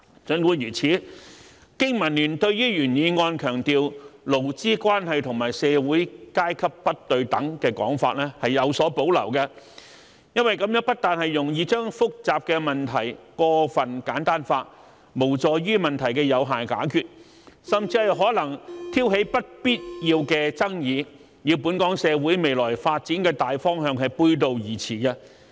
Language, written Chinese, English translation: Cantonese, 儘管如此，經民聯對於原議案強調"勞資關係和社會階級不對等"的說法卻有所保留，這不但容易將複雜的問題過分簡單化，無助於問題的有效解決，甚至可能挑起不必要的爭議，與本港社會未來發展的大方向背道而馳。, Notwithstanding the above BPA has reservations about the original motions emphasis on inequalities in labour relations and social classes which not only tends to oversimplify complex issues but also does not help to solve problems effectively and may even provoke unnecessary controversies thus running counter to the general direction of the future development of Hong Kong society